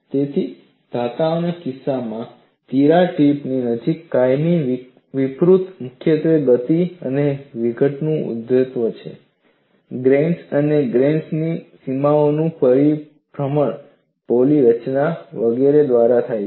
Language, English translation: Gujarati, So, in the case of metals, the plastic deformation in the vicinity of the crack tip is caused mainly by motion and generation of dislocations, rotation of grains and grain boundaries, formation of voids, etcetera